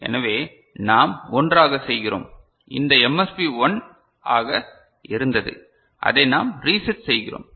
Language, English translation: Tamil, So, what do you do, we make this 1; this MSB which was 1 we reset it ok